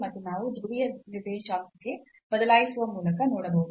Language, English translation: Kannada, So, again we can see by changing to the polar coordinate also